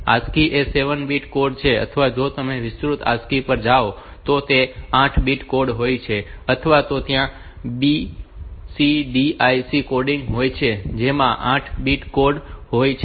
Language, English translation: Gujarati, So, ASCII is a 7 bit code or if you go to extended ASCII says 8 bit code or then there is a EBCDIC coding which is 8 bit code